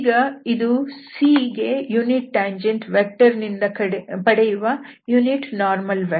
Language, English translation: Kannada, And now, so this is the unit normal vector to C, we are going to get out of this tangent vector